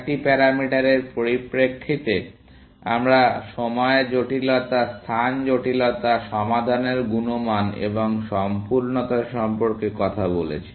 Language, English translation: Bengali, In terms of the four parameters, we talked about time complexity, space complexity, quality of solution and completeness